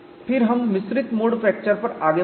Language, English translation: Hindi, Now we move on to our next topic mixed mode fracture